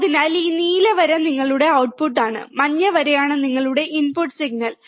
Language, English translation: Malayalam, So, this blue line is your output, the yellow line is your input signal